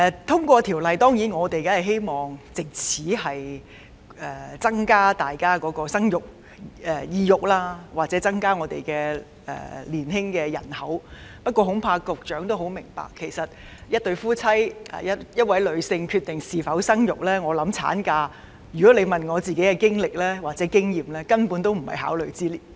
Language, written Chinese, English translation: Cantonese, 我們當然希望《條例草案》獲得通過，藉此提升市民生兒育女的意欲，甚或增加香港的年輕人口，但恐怕局長也明白到，其實一對夫婦或一位女性在決定是否生育時——假如你問我的個人經歷或經驗——產假根本不在考慮之列。, We certainly hope that the Bill will be passed so as to enhance peoples desire to have children or even increase our young population but I am afraid that in fact as the Secretary also understands when a married couple or a woman decides whether to bear a child or not―if you ask me about my personal experiences or experience―the length of maternity leave is not at all a point to be considered